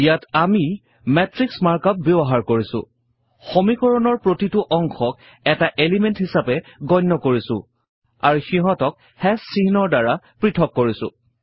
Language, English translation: Assamese, Here, we have used the matrix mark up, treated each part of the equation as an element and separated them by # symbols